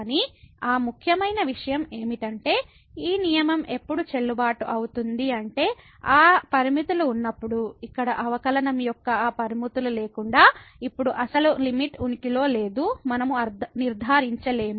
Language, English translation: Telugu, But that important point was that these rule is valid when, when those limits exist we cannot conclude if those limits here of the derivatives do not exists then we cannot conclude that the original limit does not exist